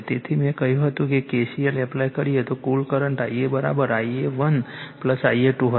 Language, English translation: Gujarati, Therefore, total current the K C L I told you apply , I a will be equal to I a 1 plus I a 2